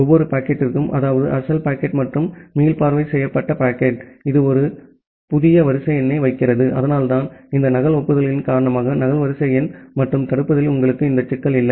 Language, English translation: Tamil, And for every packet, that means the original packet as well as the retransmitted packet, it puts a new sequence number, so that is why you do not have this problem of duplicate sequence number and blocking due to this duplicate acknowledgements